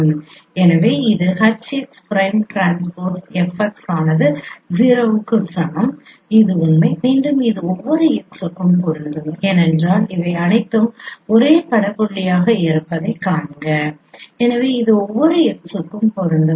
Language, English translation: Tamil, So this can be shown in this form that is a proof that since x prime transpose f x equals 0 and x prime is h x so h x transpose f x equals 0 and this is true once again this is true for every x because see these are all same image point so this is true for every x